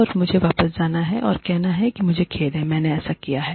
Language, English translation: Hindi, And, I have to go back, and say, I am sorry, I have done this